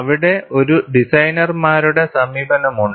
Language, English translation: Malayalam, There is a designers' approach